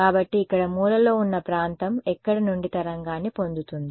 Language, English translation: Telugu, So, corner region over here where will it get the wave from